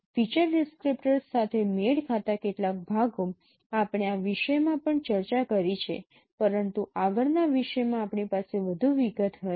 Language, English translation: Gujarati, Some parts of matching of featured descriptors we have discussed in this topic also but we will have more elaborations in the next topic